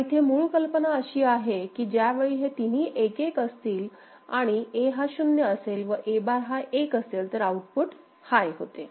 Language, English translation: Marathi, But the idea here is that the output will go high, when these three are 1 1 and A is 0 that is A bar is 1 all right